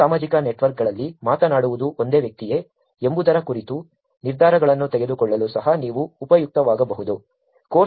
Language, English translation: Kannada, You could also be useful for making decisions on whether it is the same person talking about in multiple social networks